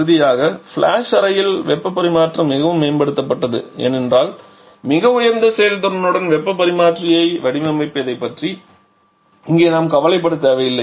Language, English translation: Tamil, And finally the heat transfer is much improved in the flash chamber because here we do not need to bother about designing a heat exchanger with very high effectiveness